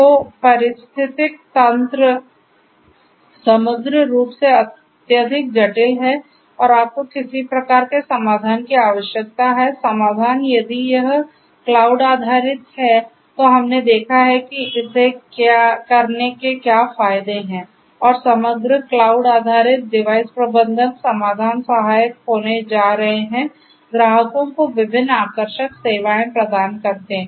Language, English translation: Hindi, So, the ecosystem overall is highly complex and you need some kind of a solution, the solution if it is cloud based we have seen that what are the advantages of doing it and overall cloud based device management solutions are going to be helpful to offer different attractive services to the clients